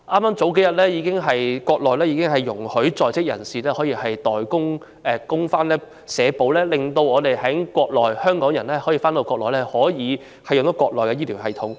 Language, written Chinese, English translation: Cantonese, 數天前，國內已容許在內地就業的港澳台人士參加社會保險供款計劃，讓港人也可以使用國內的醫療系統。, A couple of days ago approval was already granted for people from Hong Kong Macao and Taiwan working on the Mainland to participate in social insurance contribution schemes thus enabling Hong Kong people to use the health care system on the Mainland